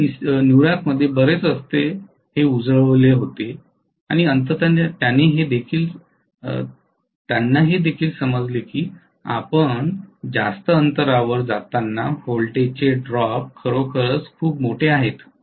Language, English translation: Marathi, They lit up many streets, streets in New York and ultimately they also realized that the voltage drop is really really large as you go to longer distances